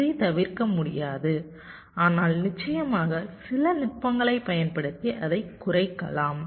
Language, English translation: Tamil, this cannot be avoided, but of course you can reduce it by using some techniques